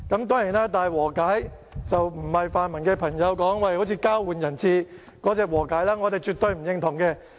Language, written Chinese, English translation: Cantonese, 當然，這並非泛民朋友所說的有如交換人質的和解，我們對此絕對不認同。, Of course this is not the kind of reconciliation just like exchanging hostages as described by pan - democratic Members which we definitely do not recognize